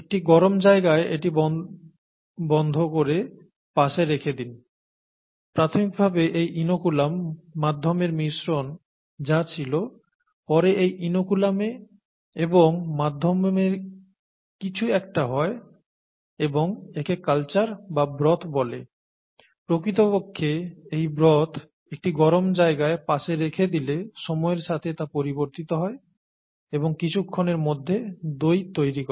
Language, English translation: Bengali, Close it, set it aside in a warm place, and the mixture that has this inoculum medium initially, and then something happens with the inoculum, something happens with the medium and all that is called the culture or the broth, in fact the, the broth changes as time goes on when it is set aside in a warm place and curd is formed in a few hours, okay